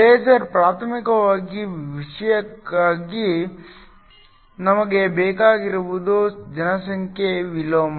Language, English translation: Kannada, For laser primary thing we need is population inversion